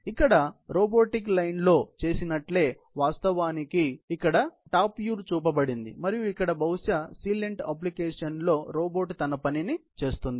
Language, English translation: Telugu, Here the same as being done on a robotic line; it is in fact a top view that is being shown here and this right here, is probably the celent application robot doing his job